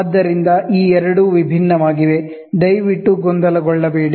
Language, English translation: Kannada, So, these two are different, please do not get confused